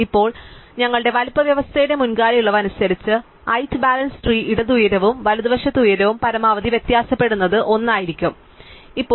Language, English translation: Malayalam, And now in keeping with our earlier relaxation of the size condition, the height balance tree will be one where the height of the left and the height of the right differ the at most 1